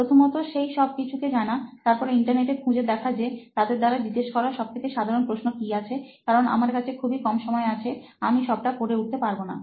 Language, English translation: Bengali, First, identifying all those things and then after that thing, I will search on Internet like what is the most common question that they ask, so that I have a very short time, I cannot read the whole concept in one time